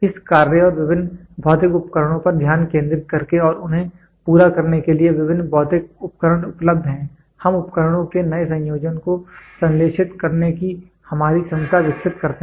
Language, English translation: Hindi, By concentrating on this functions and various physical devices and the various physical device of are available for accomplishing them we develop our ability to synthesize new combination of instruments